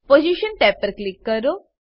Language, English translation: Gujarati, Click on Position tab